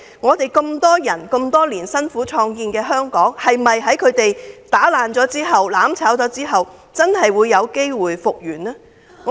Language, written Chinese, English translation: Cantonese, 我們合眾人之力多年來辛苦創建的香港被他們破壞和"攬炒"後，是否真可復原？, Hong Kong was built by many people after decades of hard work . Can Hong Kong really recover after being damaged and burnt together?